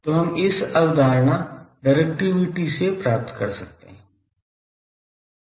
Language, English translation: Hindi, So, that we can get from this concept Directivity